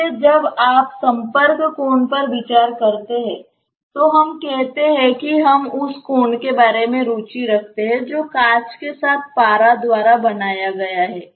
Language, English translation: Hindi, So, when you are considering the contact angle say we are interested about the angle that is made by the mercury with the glass